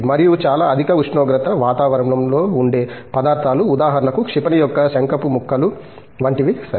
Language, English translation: Telugu, And, materials which are for extremely high temperature environments, for example, something like nose cones of a missile okay